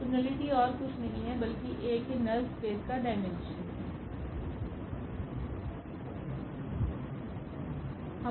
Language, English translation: Hindi, So, nullity is nothing, but its a dimension of the null space of A